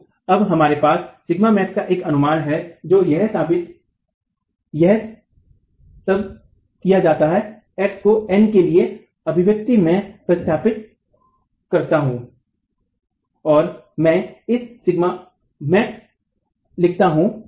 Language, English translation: Hindi, So now we have an estimate of sigma max where all that is done is x is substituted into this expression for n and I write it in terms of sigma max